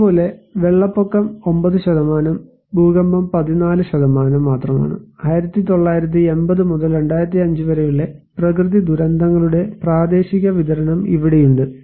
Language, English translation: Malayalam, Similarly, flood 9%, earthquake is only 14%, here is the regional distribution of natural disasters from 1980 to 2005